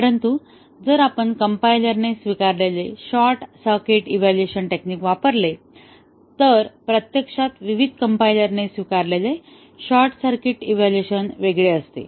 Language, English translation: Marathi, But, if we use the short circuit evaluation techniques adopted by compilers, actually the short circuit evaluation adopted by different compilers differ